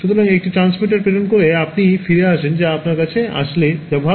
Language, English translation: Bengali, So, one transmitter sends and you collect back what is coming to you which is better